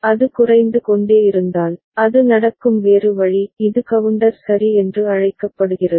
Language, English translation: Tamil, And if it is decreasing, the other way it happens it is called down counter ok